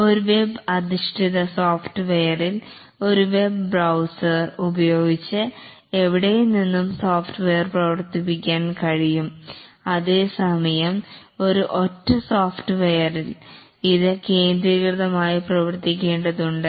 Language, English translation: Malayalam, In a web based software, the software can be operated from anywhere using a web browser, whereas in a standalone software, it needs to be operated centrally